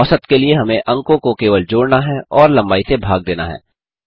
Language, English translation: Hindi, To get the mean, we just have to sum the marks and divide by the length